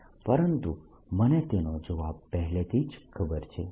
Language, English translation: Gujarati, but i all ready know the answer of this